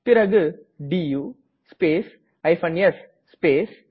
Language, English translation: Tamil, Then type du space s space *